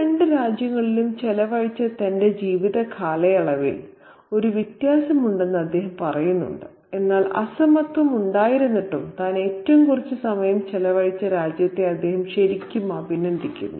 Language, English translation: Malayalam, And he says that there is a disparity in the duration of his life spent in these two countries, but despite the disparity, he really appreciates the country where he had spent the least time